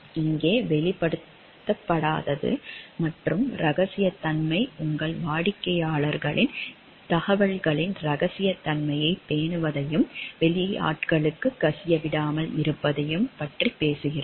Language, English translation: Tamil, Here the non disclosure and the confidentiality talks of maintaining the confidentiality of the information of your clients and not to leak it to the outsiders